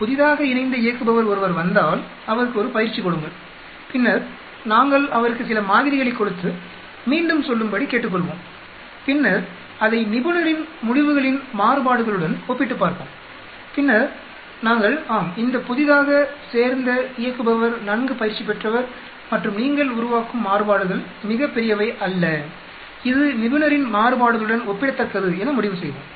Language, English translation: Tamil, If a newly joined operator comes in you give him a training and then we will give him a few samples and ask him to repeat and then we will compare it with the variations of the results from the expert and then we will conclude yes, this newly joined operator is well trained and the variations you produces are not very, very large it is comparable to the expert